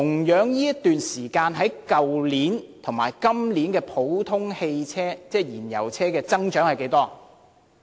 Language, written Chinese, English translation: Cantonese, 跟去年這段時間比較，今年普通汽車的銷量增長是多少？, Compared with the same period of time last year what is the growth rate in the sales of usual fossil - fuel vehicles?